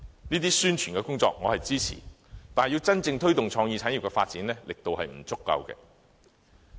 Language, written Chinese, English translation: Cantonese, 這些宣傳工作我是支持的，但要真正推動創意產業發展，其力度仍然不足。, While these publicity activities do have my support they are not vigorous enough to truly promote the growth of creative industries